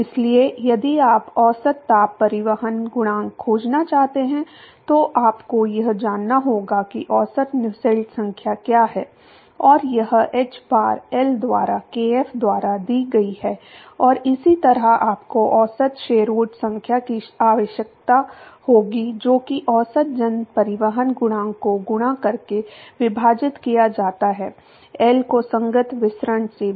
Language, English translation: Hindi, So, if you want to find average heat transport coefficient then you need to know what is the average Nusselt number and that is given by hbar L by kf and similarly you will require the average Sherwood number which is average mass transport coefficient divided by multiplied by L divided by the corresponding diffusivity